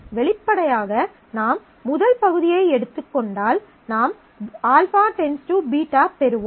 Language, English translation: Tamil, So, obviously you take the first part, you get alpha determines beta